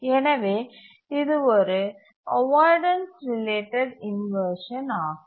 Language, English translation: Tamil, So this is the inheritance related inversion